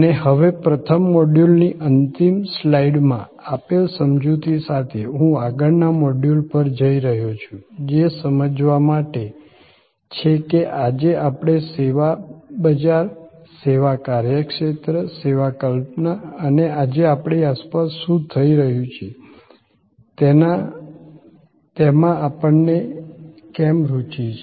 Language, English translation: Gujarati, And now, with the explanation given to the first module ending slide, I am moving to the next module which is to understand, why today we are so interested in service market, service businesses, the service concept and what is happening around us today